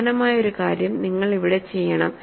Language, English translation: Malayalam, A similar exercise, you have to do here